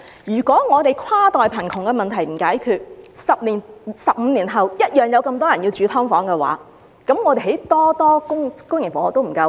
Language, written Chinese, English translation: Cantonese, 如果香港的跨代貧窮問題無法解決 ，10 年、15年後同樣有那麼多人需要住在"劏房"的話，政府興建再多公營房屋亦不足夠。, If the problem of intergenerational poverty in Hong Kong cannot be solved and the number of SDU residents remains the same some 10 or 15 years later the Governments supply of public housing will never be enough